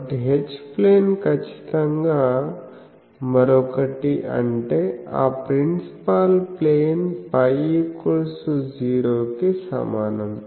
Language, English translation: Telugu, So, H plane is definitely the other one; that means, phi is equal to 0 that principal plane